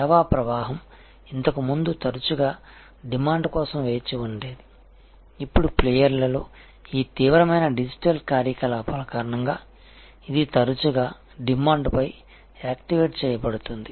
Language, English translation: Telugu, Flow of service was earlier often waiting for demand, now because of these intense digital activity among the players this is also often available activated upon demand